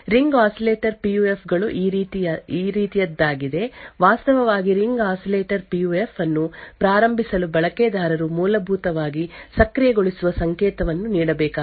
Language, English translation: Kannada, The ring oscillators PUF is something like this, to actually start the Ring Oscillator PUF the user would have to give an enable signal essentially, essentially change the enable from 0 to 1 and also specify a challenge